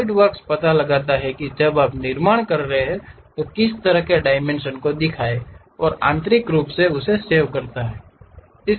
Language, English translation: Hindi, Solidworks detects what kind of dimensions, when you are constructing it shows those dimensions and saves internally